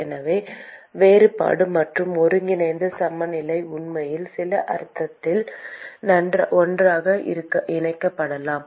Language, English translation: Tamil, So, the differential and the integral balance can actually be merged together in some sense